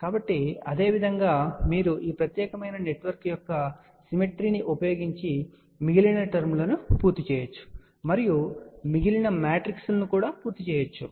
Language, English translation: Telugu, So, similarly you can complete the rest of the terms you can use the symmetry of this particular network and complete the rest of the matrix